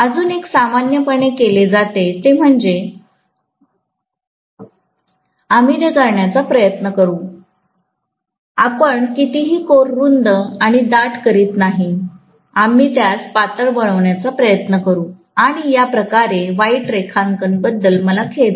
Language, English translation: Marathi, One more generally that is done is we try to make, we never make the core broader and thicker, we try to make them thinner and longer like this, I am sorry for the bad drawing, okay